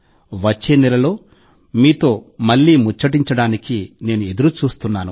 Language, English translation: Telugu, I am waiting to connect with you again next month